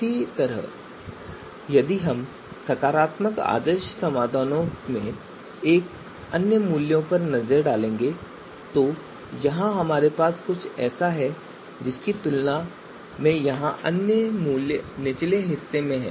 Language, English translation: Hindi, So similarly, if we if we take the if we look at the other values in the positive ideal solutions here other values they are on the lower side in comparison to what we have here in the negative ideal solution right